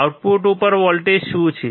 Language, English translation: Gujarati, What is the voltage at the output